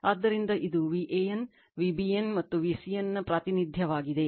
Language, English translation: Kannada, So, this is a representation of v AN, v BN and v CN right